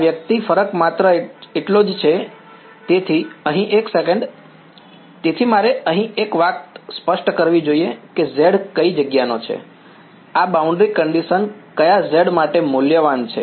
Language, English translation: Gujarati, This guy, the only difference is; so over here 1 sec, so one thing I should make clear here z belongs to which place; this boundary condition is valued for which z